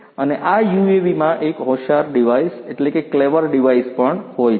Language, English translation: Gujarati, And, this UAV also has an intelligent device